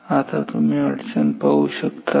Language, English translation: Marathi, Now, do you see a problem